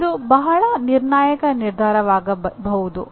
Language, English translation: Kannada, It can become a very crucial decision